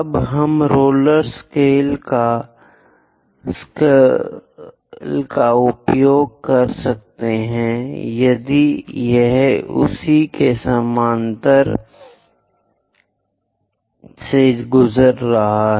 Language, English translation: Hindi, Now we can use roller scaler if it can pass parallel to that